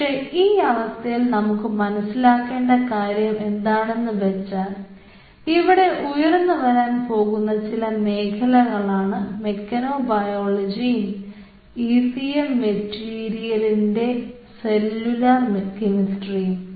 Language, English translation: Malayalam, but at this stage, what is very important for you to understand this, these are some of the very emerging areas which are coming up, these mechanobiology, and a great understanding is happening in the [noise] cellular chemistry of ecm materials [noise]